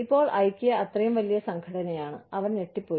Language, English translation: Malayalam, Now, Ikea, such a huge organization, and they were flabbergasted